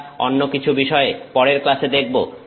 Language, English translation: Bengali, We will look at something else in our next class